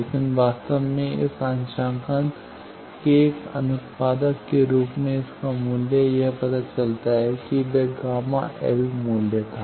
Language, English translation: Hindi, But its value actually as a byproduct of this calibration it comes out that what was that gamma L value